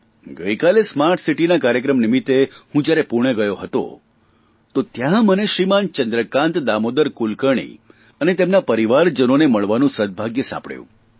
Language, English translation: Gujarati, Yesterday when I went to Pune for the Smart City programme, over there I got the chance to meet Shri Chandrakant Damodar Kulkarni and his family